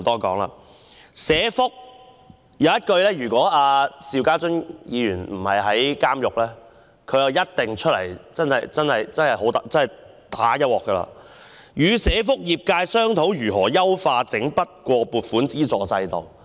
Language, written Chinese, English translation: Cantonese, 就社會福利——要是邵家臻議員不是正在監獄服刑，他一定出來"打一鑊"——她在單張中提出"與社福界商討如何優化整筆撥款資助制度"。, Need I say more? . In terms of social welfare―if Mr SHIU Ka - chun is not serving his time in the prison he would definitely come forward and have a fight―she has proposed in the leaflet [discussing] with [the] social welfare sector how to optimise Lump Sum Grant arrangements